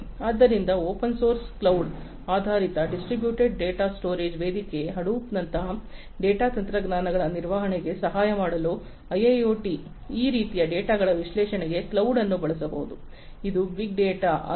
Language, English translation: Kannada, So, in IIoT for helping in the management of the data technologies such as Hadoop, which is an open source cloud based distributed data storage platform, cloud can be used for the analysis of this kind of data, which is big data